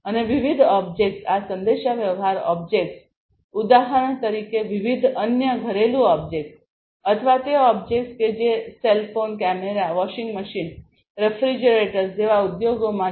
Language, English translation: Gujarati, And different objects these communication objects for example or different other household objects or even the objects that are in the industries like cell phone, cameras, etcetera you know washing machines, refrigerators